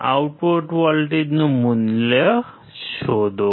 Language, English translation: Gujarati, Find out the value of the output voltage